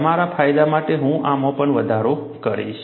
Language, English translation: Gujarati, I will also increase this for your benefit